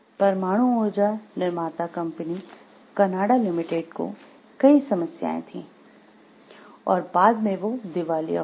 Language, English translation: Hindi, The manufacturer atomic energy of Canada limited had many problems and has since gone bankrupt